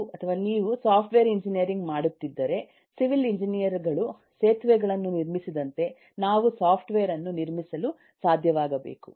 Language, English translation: Kannada, if you are doing software engineering, then we must be able to construct software, as civil engineers build bridges